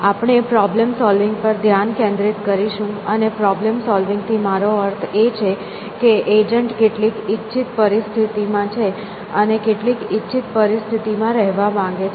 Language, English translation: Gujarati, We will focus on problem solving and by problem solving we mean that, the agent is in a desired, is in some situation and wants to be in some desired situation